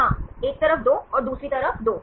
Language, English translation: Hindi, Yeah 2 on one side, and 2 on other side